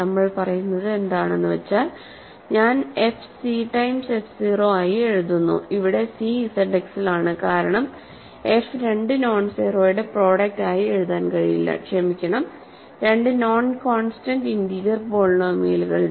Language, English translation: Malayalam, What we are saying is that, I am writing f as c times f 0, where c is in Z 0 in Z X because f cannot be written as a product of two nonzero, sorry two non constant integer polynomials